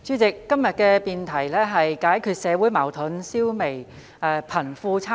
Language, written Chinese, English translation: Cantonese, 代理主席，今天的辯論題目是"解決社會矛盾，消弭貧富差距"。, Deputy President the topic of todays debate is Resolving social conflicts and eradicating disparity between the rich and the poor